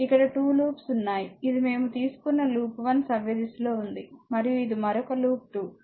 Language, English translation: Telugu, And there are 2 loop, this is loop 1 clockwise direction we have taken and this is another loop 2, right